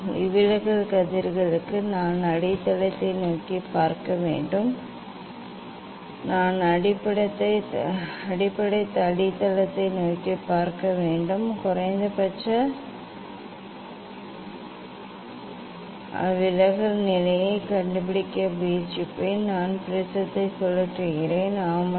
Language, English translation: Tamil, for refracted rays I have to look towards the base I have to look towards the base yes and try to I will try to find out the minimum deviation position, I rotate prisms; yes